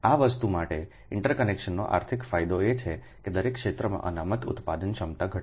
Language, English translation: Gujarati, that means economics advantage of interconnection is to reduce the reserve generation capacity in each area